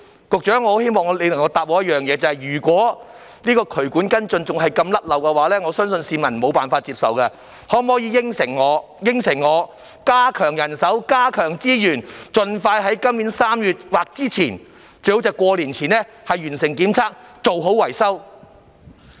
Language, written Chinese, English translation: Cantonese, 局長，我希望你給我答覆，如果渠管跟進的工作仍然這般疏漏，我相信市民是無法接受的，你可否答應加強人手，加強資源，盡快在今年3月或之前，最好是在農曆新年前完成檢測，做好維修？, Secretary I hope you will give me a reply . If the follow - up work on drainage pipes is still fraught with problems I think the public will consider this unacceptable . Will you undertake to increase manpower and resources so that the inspection and repair work can be completed expeditiously on or before March this year preferably before the Lunar New Year?